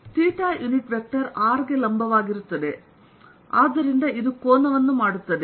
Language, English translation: Kannada, theta unit vector is perpendicular to r, so therefore it makes an angle and let me make it